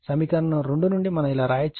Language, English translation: Telugu, From equation 2 we can write like this